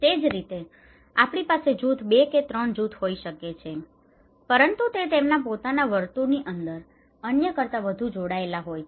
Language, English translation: Gujarati, Like the same way, we can have group 2 and group 3 because they within their own circle is more connected than other